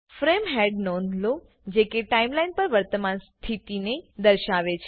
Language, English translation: Gujarati, Notice the frame head which indicates the current position on the timeline